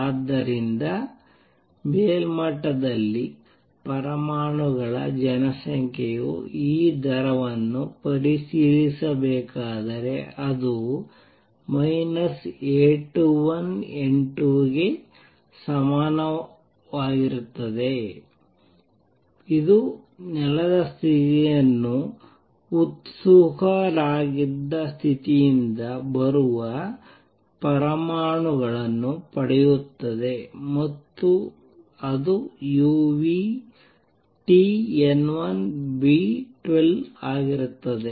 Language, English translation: Kannada, So, if I were to check the rate at which the population of atoms at the upper level is changing this would be equal to minus A 21 N 2 at the same time it is gaining atoms which are coming from ground state to excited state and that will be u nu T N 1 times B 12